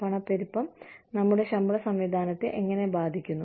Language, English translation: Malayalam, How does inflation, affect our pay systems